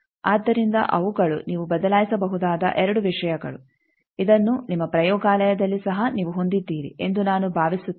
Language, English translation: Kannada, So, those are the 2 things that you can vary in this I think in your lab also you have this